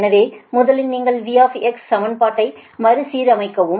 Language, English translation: Tamil, so first you rearrange the equation of v x